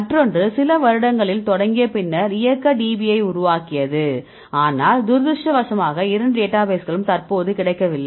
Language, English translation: Tamil, So, another one is after few years started they developed kinetic DB, but unfortunately both the databases are not available at the moment